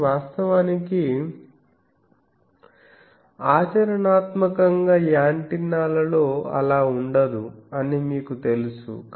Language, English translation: Telugu, But, actually the practically those antennas the you know